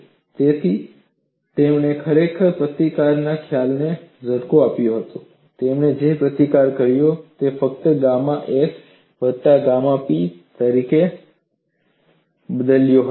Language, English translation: Gujarati, So, he has really tweaked the concept of resistance; a resistance he had simply modified it as gamma s plus gamma p